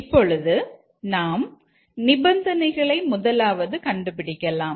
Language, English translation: Tamil, Now let's first identify the conditions